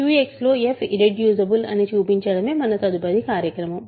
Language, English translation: Telugu, Suppose, the next order of business is to show that f is irreducible in Q X